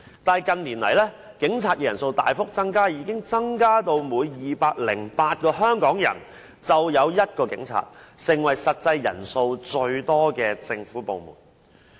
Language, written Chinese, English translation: Cantonese, 可是，近年來，警察人數大幅增加，已增至每208名香港人便有1名警察，成為實際人數最多的政府部門。, However in recent years the number of police officers has greatly increased to reach a ratio of one police officer to 208 Hong Kong people and the Police Force has become a government department with the largest number of officers